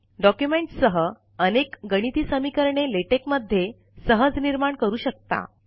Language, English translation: Marathi, Documents with a lot of mathematical equations can also be generated easily in Latex